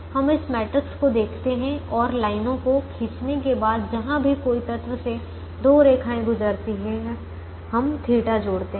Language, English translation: Hindi, what actually happens is we look at this matrix and, after drawing the lines, wherever an element has two lines passing through, we add the theta